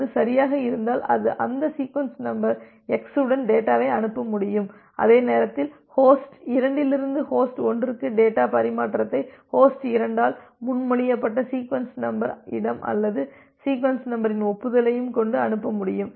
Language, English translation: Tamil, If it is OK, then it can send the data with that sequence number x and at the same time it can also send acknowledgement for the sequence number space or the sequence number that was proposed by host 2 for host 2 to host 1 data transfer